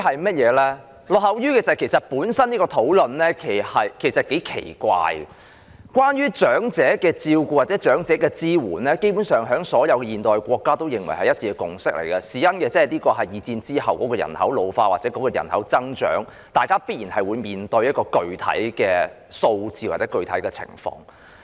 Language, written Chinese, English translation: Cantonese, 這項討論本身其實是頗奇怪的，關於對長者的照顧或支援，基本上是所有現代國家一致的共識，這是因為第二次世界大戰之後人口老化或人口增長，大家必然會面對的一個具體數字或情況。, This discussion itself is actually rather strange . The provision of care or support for the elderly is basically a unanimous consensus of all modern countries because following the ageing of population or the baby boom after World War II all countries are set to face a concrete number or scenario